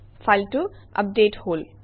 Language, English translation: Assamese, It has been updated